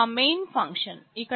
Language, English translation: Telugu, This is my main function